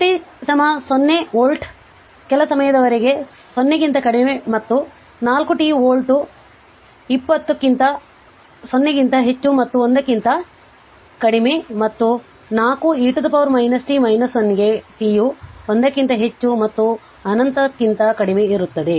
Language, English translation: Kannada, You have to first is v t is 0 volt for some time till less than I have told till less than 0 and 4 t volt 20 greater than 0 less than 1 and 4 e to the power minus t minus 1 for t greater than 1 less than infinity